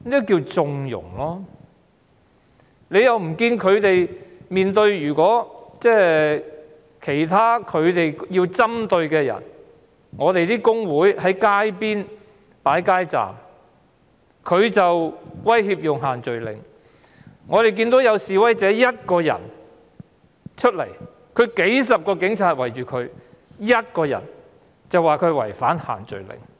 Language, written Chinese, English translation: Cantonese, 警隊要針對某些人，例如工會擺設街站，他們便說違反限聚令；我們看到有示威者獨自出來，卻被數十名警察包圍，他只是獨自一人而已，卻說他違反限聚令。, The Police target certain people for example when some labour unions set up street counters the Police would say that they violated the social gathering restrictions . We have seen that a lone protester on the street was surrounded by dozens of police officers . He was just walking by himself but the Police said that he violated the social gathering restrictions